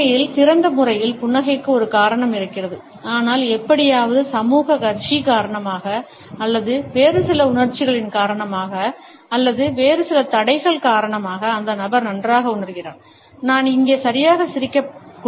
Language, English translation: Tamil, There is a reason to actually smile in open manner, but somehow either, because of the social curtsey or, because of certain other emotions or, because of certain other constraints the person feels that well I should not exactly smile here